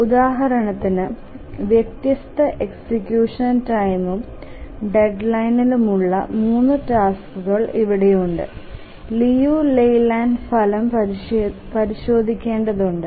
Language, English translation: Malayalam, So, here three tasks, different execution times and deadlines, and we need to check the leave lay line result